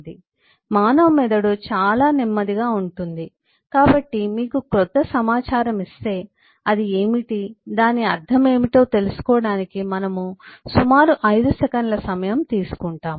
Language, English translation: Telugu, the human brain is extremely slow, so if you are given with a new chunk of information, we take about 5 seconds to come to terms with